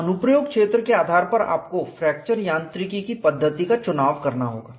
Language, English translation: Hindi, So, depending on the application area you have to choose the methodology of fracture mechanics